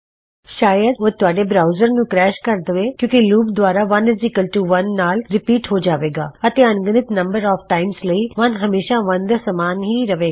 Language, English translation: Punjabi, It would probably crash your browser because the loop would be repeated as long as 1=1 and for infinite no